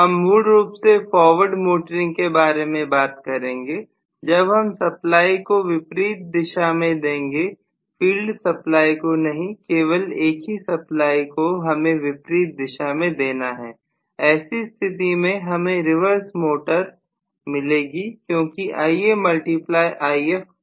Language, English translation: Hindi, We talk mainly about forward motoring after all if I give the supply in the opposite direction not the field supply also one of them only should be given in the opposite direction in that case I will see essentially reverse motoring, right, because Ia multiplied by If is torque, right